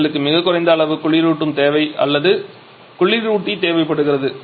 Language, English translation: Tamil, So, we need much lesser amount of cooling requirement or coolant requirement